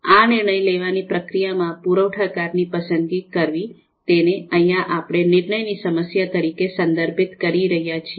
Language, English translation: Gujarati, So this decision making process, this process of decision making, selecting a supplier, is actually what we are referring as the you know decision problem here